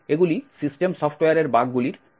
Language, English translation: Bengali, These fall into this category of bugs in the systems software